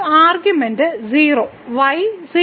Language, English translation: Malayalam, So, one argument is 0, the is 0